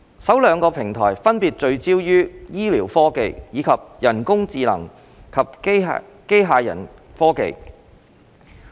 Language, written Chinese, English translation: Cantonese, 首兩個平台分別聚焦於醫療科技，以及人工智能及機械人科技。, The first two clusters focus on healthcare technologies and artificial intelligence and robotic technologies respectively